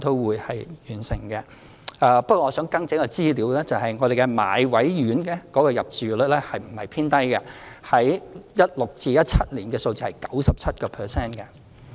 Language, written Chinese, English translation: Cantonese, 不過，我想更正一項資料，便是買位院舍的入住率不是偏低 ，2016-2017 年度的數字是 97%。, Nonetheless I would like to correct a piece of information . The occupancy rate of residential care homes under the Enhanced Bought Place Scheme is not on the low side . The rate was 97 % in 2016 - 2017